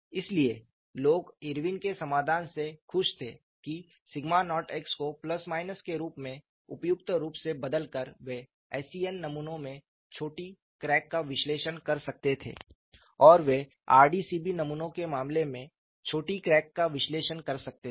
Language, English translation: Hindi, So, people are happy with Irwin solution that by changing the sigma naught x suitably as positive or negative, they could analyze short cracks in SCN specimens and they could analyze short cracks in the case of RDCB specimens